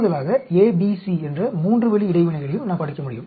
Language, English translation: Tamil, In addition, we can also study a 3 way interactions a, b, c